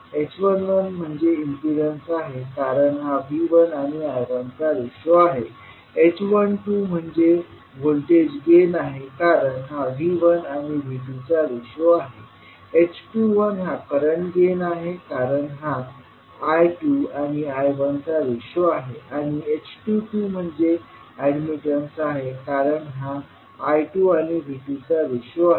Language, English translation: Marathi, h11 represents the impedance because it is the ratio between V1 and I1, h12 is the voltage gain because this is a relationship between V1 and V2, h21 is the current gain because it is again the ratio between I2 and I1 and h22 is the admittance because it is ratio between I2 and V2